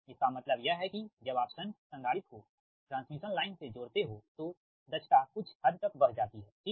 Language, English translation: Hindi, that means when you connect the shunt capacitor, that transmission line efficiency improves to some extent right